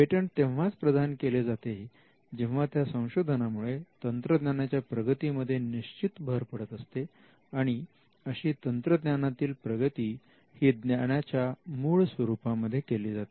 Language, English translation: Marathi, Patents are granted only if there is a technical advancement and the technical advancement is made to the prior art or the prior knowledge